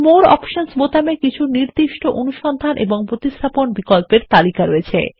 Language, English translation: Bengali, Click on it The More Options button contains a list of specific Find and Replace options